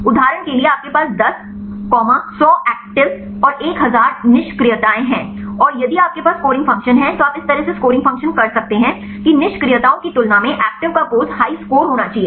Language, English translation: Hindi, For example, you have the 10, 100 actives and one thousand inactives and if you have scoring function you can make a scoring function in such a way that the poses of the active should be should be the high score compared with these inactives in the case of virtual screening